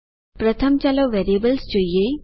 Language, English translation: Gujarati, First lets look at variables